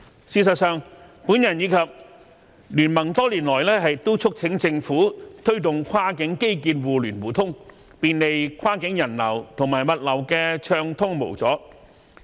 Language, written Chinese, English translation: Cantonese, 事實上，我及經民聯多年來都促請政府推動跨境基建互聯互通，便利跨境人流和物流的暢通無阻。, As a matter of fact BPA and I have been urging the Government to promote cross - boundary infrastructural connectivity to provide travel convenience to cross - boundary passengers and to facilitate uninterrupted cross - boundary cargo flow